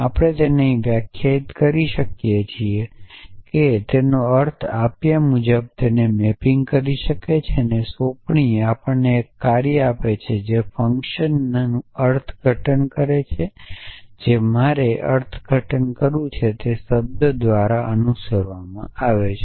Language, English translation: Gujarati, So, we can define this here that given a term it is mapping under interpretation and assignment gives us a term which interpret function name which is interpreted followed by every term who is interpretation I have to do